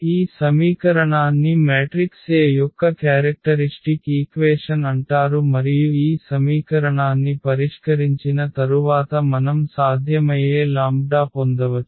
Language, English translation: Telugu, So, this equation is called characteristic equation of the matrix A and after solving this equation we can get the possible lambdas